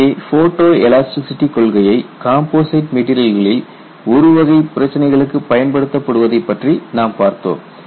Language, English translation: Tamil, So, what you have here is a flavor of how photo elasticity has been applied to composites for a restricted class of problem